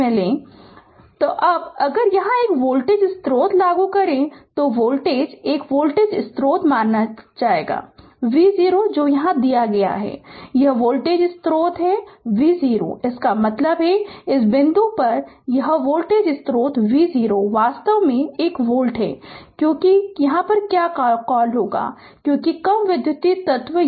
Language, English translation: Hindi, Now, if you apply a voltage source here right so, voltage 1 voltage source suppose V 0 is given right and, this voltage source this voltage source V 0 is given; that means, at this point this voltage source is V 0 actually is equal to 1 volt, because your what you call, because low electrical elements connect here